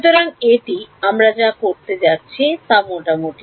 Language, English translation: Bengali, So, this is what we are going to roughly do